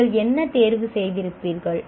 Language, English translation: Tamil, What choice you would have made